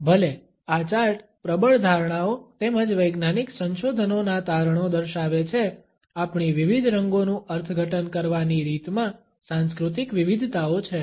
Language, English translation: Gujarati, Even though this chart displays the dominant perceptions as well as findings of scientific researches, there are cultural variations in the way we interpret different colors